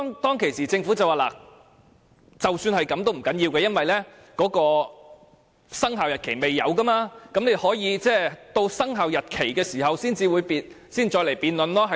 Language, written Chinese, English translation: Cantonese, 當時，政府的答覆是不要緊，因為生效日期未定，議員可以在通過生效日期公告時再作辯論。, At that time the Governments reply was that it did not matter because the commencement date had yet to be determined and Members could debate again when passing the Commencement Notice